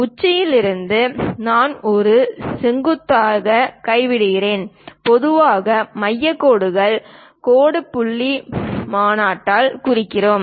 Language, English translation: Tamil, From apex, if we are dropping a perpendicular, and usually centre lines we represent by dash dot convention